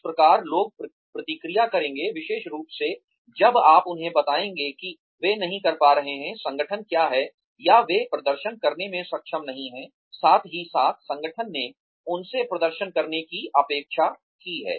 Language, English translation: Hindi, That is how, people will react, especially, when you tell them, that they are not doing, what the organization, or they have not been able to perform, as well as the, organization expected them to perform